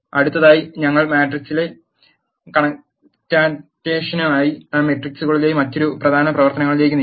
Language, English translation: Malayalam, Next we move on to another important operation on matrices which is matrix concatenation